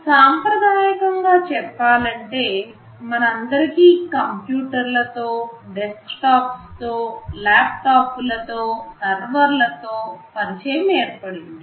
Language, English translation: Telugu, Traditionally speaking, we have become familiar with computers that are either desktops, laptops, servers etc